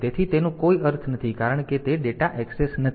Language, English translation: Gujarati, So, that is it does not have any meaning because it is not the data access